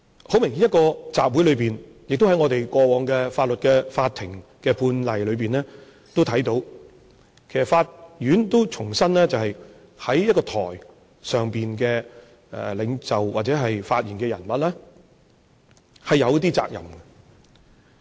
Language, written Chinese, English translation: Cantonese, 很明顯，在一個集會裏面，在過往法庭判例裏面都看到，法院也重申，一位在台上發言的領袖，或者發言的人物，他是有一些責任。, Obviously a leader or anyone who speaks on stage in a rally is duty - bound . This is seen in court precedents and the court has also reiterated this point